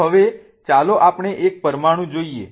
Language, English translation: Gujarati, So, now let us look at one of the molecules